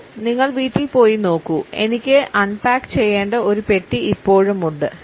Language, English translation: Malayalam, Joe well I guess Joe you went home and look there is still one box that I have to unpack